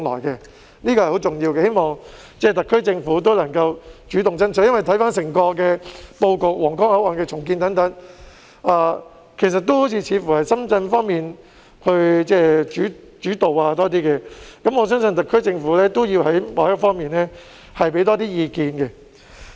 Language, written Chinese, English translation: Cantonese, 這是十分重要的，我希望特區政府能夠主動爭取，因為回看整個布局，包括皇崗口岸的重建，似乎都是由深圳一方主導，我相信特區政府要在某些方面多提意見。, This is very important and I urge the SAR Government to take the initiative to strive for it because looking back at the whole plan including the redevelopment of the Huanggang Port it seems that the Shenzhen side is in the driving seat all the way . I believe that the SAR Government should offer more advice on certain aspects